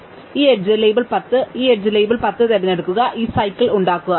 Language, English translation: Malayalam, So, supposing we pick this edge label 10, then this edge label 10, form this cycle